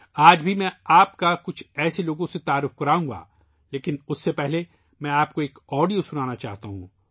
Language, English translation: Urdu, Even today I will introduce you to some such people, but before that I want to play an audio for you